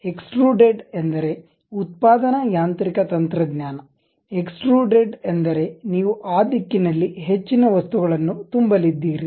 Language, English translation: Kannada, Extruded means a manufacturing mechanical technology; extrude means you are going to fill more material in that direction